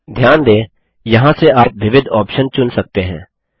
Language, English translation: Hindi, Notice the various options you can choose from here